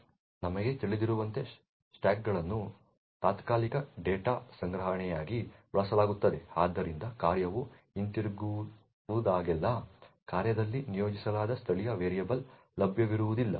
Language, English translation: Kannada, As we know stacks are used as temporary data storage, so whenever a function returns then the local variables which was allocated in the function is no more available